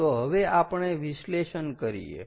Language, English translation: Gujarati, so how do we calculate